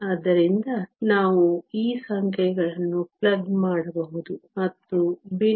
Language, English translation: Kannada, So, we can plug in these numbers and the fraction is 0